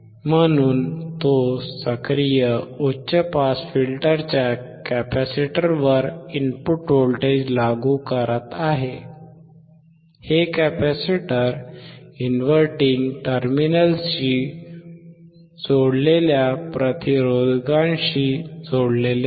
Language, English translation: Marathi, At the capacitors of the active high pass filter, this capacitor is connected to the resistors connected to the inverting terminal